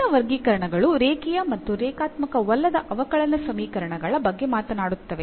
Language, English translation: Kannada, The further classifications will be talking about like the linear and the non linear differential equations